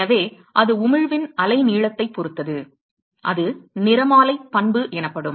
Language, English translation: Tamil, So, fact that it depends on the wavelength of the emission is called the spectral property